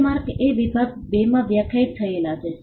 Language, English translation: Gujarati, Trademark is defined in section 2